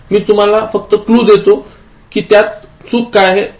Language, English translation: Marathi, I am just giving a clue as what is wrong with that